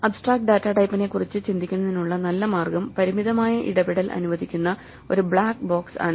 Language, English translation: Malayalam, So, good way to think of an abstract datatype is as a black box which allows limited interaction